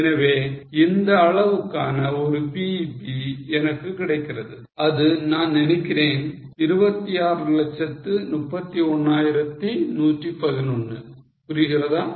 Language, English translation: Tamil, So, giving me a BEP of this quantum which is I think 26 lakhs 31,111